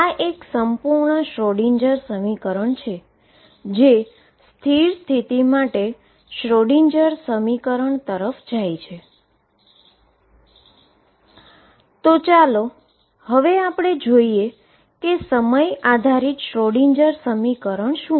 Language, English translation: Gujarati, This is a complete Schroedinger equation which for stationary states goes over to stationary state Schroedinger equation